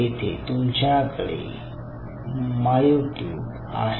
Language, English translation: Marathi, and here you have a myotube